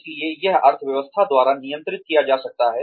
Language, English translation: Hindi, So, that could be governed, by the economy